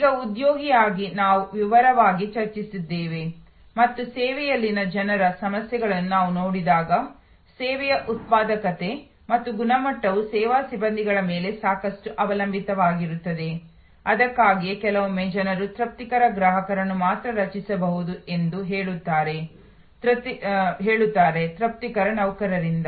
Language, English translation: Kannada, Now, just as an employee we have discussed in detail and we will again when we look at people issues in service, the productivity and quality of service depends a lot on service personnel, that is why even sometimes people say satisfied customers can only be created by satisfied employees